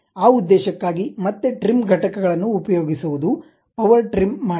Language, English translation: Kannada, For that purpose again trim entities, power trim